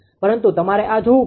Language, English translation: Gujarati, But you have to see this right